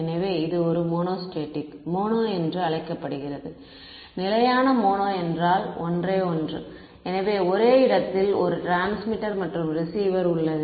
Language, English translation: Tamil, So, this is called a mono static mono means just one right; so, one transmitter and receiver at the same location